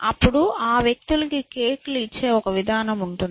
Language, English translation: Telugu, Then, there is some mechanism by which people are given cakes